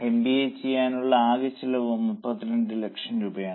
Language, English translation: Malayalam, So total cost of doing MBA is 32 lakhs